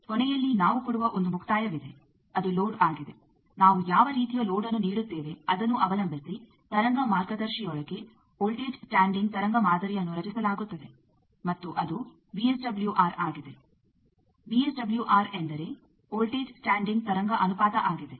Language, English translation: Kannada, You see that at the end there is a termination we give that is the load, what you what load we give depending on the voltage standing wave pattern will be created inside the wave guide and that VSWR, VSWR means voltage standing wave ratio, I think you know from your transmission line theory that it is defined as voltage maximum by voltage minimum the line